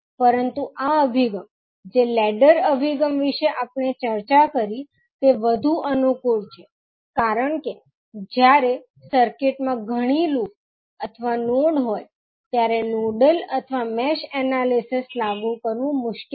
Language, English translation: Gujarati, But this approach, what is the ladder approach we discuss is more convenient because when the circuit has many loops or nodes, applying nodal or mesh analysis become cumbersome